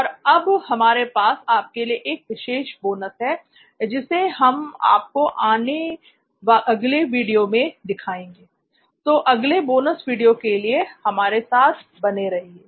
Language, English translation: Hindi, And now we have a special bonus for you which we’ll show it you in the next video, so stay tuned for the next bonus video